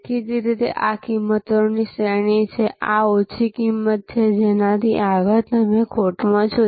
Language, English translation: Gujarati, Obviously, this is the range of pricing, this is the low price beyond which you are in at a loss